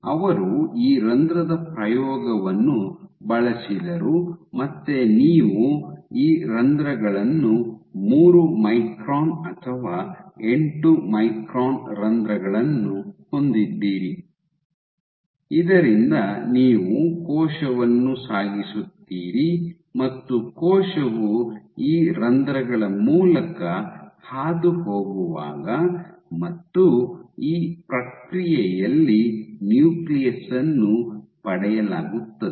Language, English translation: Kannada, So, he used this pore experiment again you have these pores, 3 micron or 8 micron pores, from which you transition the cell you pass the cell through these pores and during this process